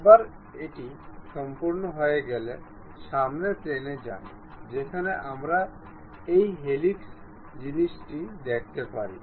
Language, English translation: Bengali, Once it is done go to front plane where we can see this helix thing